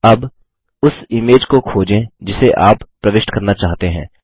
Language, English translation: Hindi, Now locate the image you want to insert